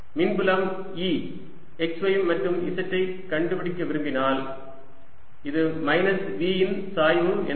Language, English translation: Tamil, if i want to find the electric field e, x, y and z, this comes out to be as minus gradient of v